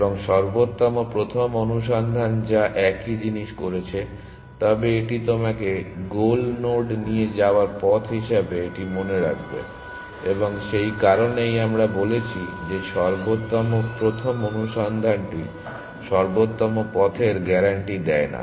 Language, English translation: Bengali, Now best first search what have done the same thing, but it would have remember this as the path which takes you to the goal node, and that is why we said that best first search does not guarantee the optimal paths